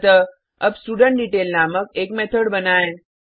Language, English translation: Hindi, So let me create a method named StudentDetail